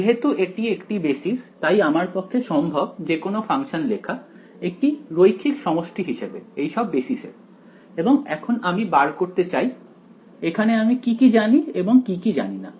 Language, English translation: Bengali, Since it is a basis I should be able to express any function as a linear combination of these basis right and now I want to find out what is known and what is unknown here